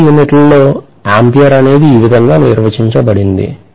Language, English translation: Telugu, This is how in SI units’ ampere is defined